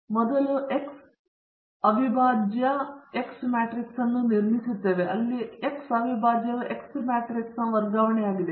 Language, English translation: Kannada, We first construct the X prime X matrix, where X prime is the transpose of the X matrix